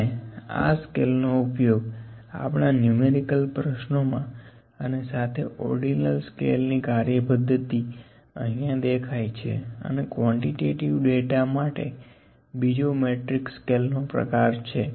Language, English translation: Gujarati, We use this scale in our numerical problem as well where is the ordinal scale working here and next kind of scale is the metric scales for the quantitative data